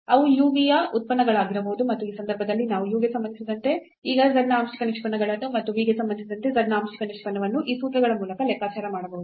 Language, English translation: Kannada, And in that case also we can compute the partial derivatives now of z with respect to u and the partial derivative of z with respect to v by these formulas